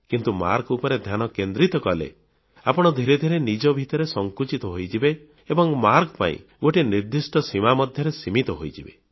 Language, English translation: Odia, However if you concentrate and focus only on getting marks, then you gradually go on limiting yourself and confine yourself to certain areas for earning more marks